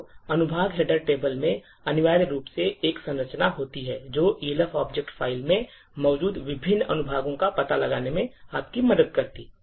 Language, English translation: Hindi, So, in the section header table, essentially there is a structure which would help you locate the various sections present in the Elf object file